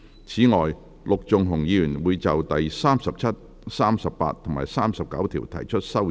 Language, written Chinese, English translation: Cantonese, 此外，陸頌雄議員會就第37、38及39條提出修正案。, Besides Mr LUK Chung - hung will propose his amendments to clauses 37 38 and 39